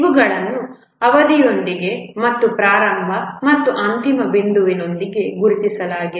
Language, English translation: Kannada, These are associated with a duration and identified with a start and end point